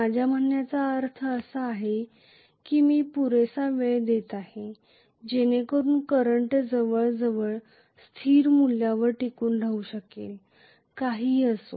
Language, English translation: Marathi, What I mean is I am giving sufficient time, so that the current almost persists at a constant value, no matter what